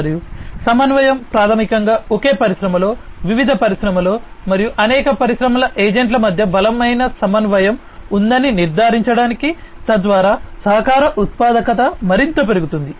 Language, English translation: Telugu, And coordination is basically to ensure that there is stronger coordination between multiple industry agents in the same industry, across different industries, and so on, so that the collaboration productivity can be increased even further